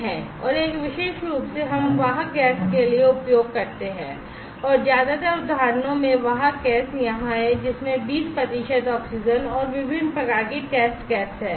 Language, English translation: Hindi, And one exclusively we use for the carrier gas and in most of the instances the carrier gas is here, which is having 20 percent of oxygen and a variety of test gas